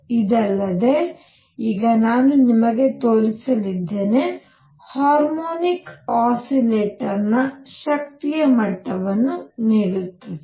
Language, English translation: Kannada, In addition, now I am going to show you that will give me the energy levels of a harmonic oscillator also